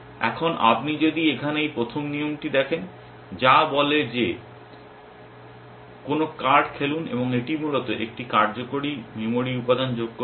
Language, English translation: Bengali, Now, if you look at this first rule here, which says play any card, it is adding one working memory element essentially